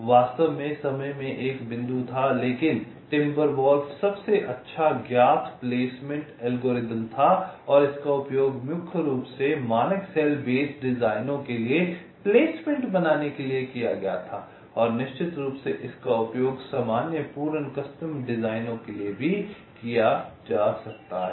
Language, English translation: Hindi, in fact, there was a pointing time, for timber wolf has the best known placement algorithm and it was mainly used for creating placement for standard cell base designs and of course, it can be used for general full custom designs also